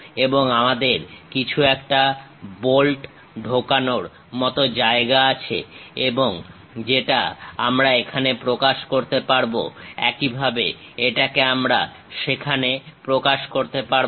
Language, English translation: Bengali, And we have something like a bolt insertion kind of position, that we can represent it here; similarly, this one we can represent it there